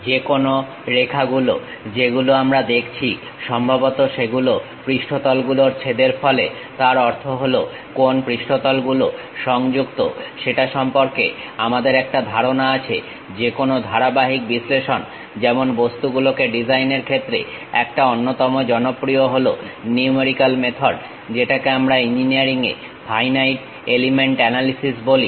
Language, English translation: Bengali, Any lines what we are seeing this supposed to be intersection of surfaces; that means, we have idea about what are the surfaces connected with each other; for any continuum analysis like designing the objects, one of the popular numerical method what we call in engineering finite element analysis